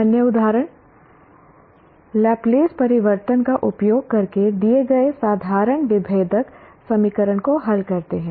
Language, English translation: Hindi, Other examples solve the given ordinary differential equation using Laplast transform